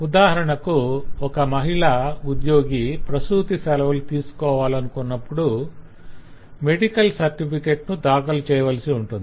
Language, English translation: Telugu, you know, if there is a lady employee needs to go for maternity leave, she needs to produce a medical certificate